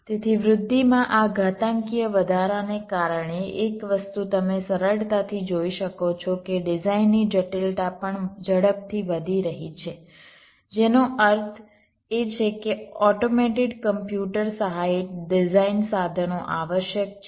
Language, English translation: Gujarati, so, because of this exponential increase in growth, one thing you can easily see: the design complexity is also increasing exponentially, which means automated computer aided design tools are essential